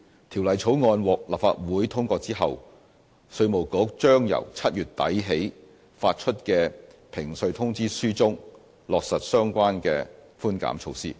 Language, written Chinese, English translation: Cantonese, 《條例草案》獲立法會通過後，稅務局將由7月底起發出的評稅通知書中，落實相關寬減措施。, Subject to the Bill being passed by the Legislative Council the Inland Revenue Department will apply the concessionary revenue measures in the notices of assessment to be issued from late July